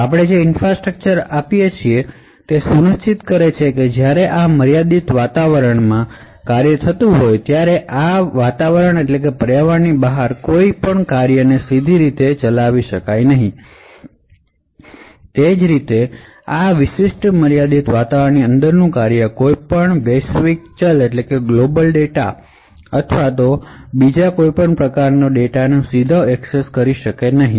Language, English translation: Gujarati, So the infrastructure that we provide would ensure that when a function that a function executing in this confined environment cannot directly invoke any function outside this environment, similarly a function present inside this particular confined environment would not be able to directly access any global variable or heap data present outside this confined area